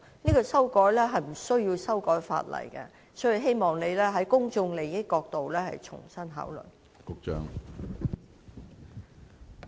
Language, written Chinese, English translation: Cantonese, 修改投票時間是無須修改法例的，所以我希望局長從公眾利益的角度重新考慮。, Changing the polling hours does not entail amending the legislation . I therefore hope the Secretary will reconsider from the perspective of the public interest